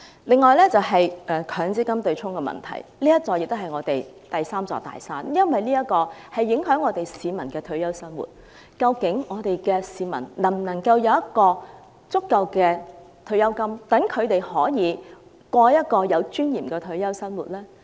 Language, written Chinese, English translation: Cantonese, 另一方面，強積金對沖機制是香港的第三座"大山"，因為這會影響香港市民的退休生活，究竟香港市民能否有足夠的退休金，可以過有尊嚴的退休生活？, On the other hand the MPF offsetting mechanism is the third big mountain in Hong Kong as it will affect the retirement life of Hong Kong people . Can Hong Kong people receive sufficient pensions to live with dignity after retirement?